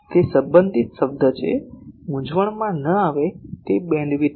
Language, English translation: Gujarati, That is a related term do not get confused it is bandwidth